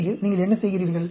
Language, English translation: Tamil, In CCD, what do you do